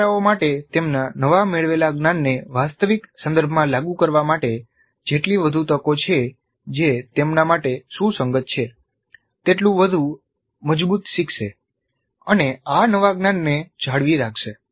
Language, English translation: Gujarati, The more the opportunities for the learners to apply their newly acquired knowledge in real contexts that are relevant to them, the stronger will be the learning and the longer will be the retaining of this new knowledge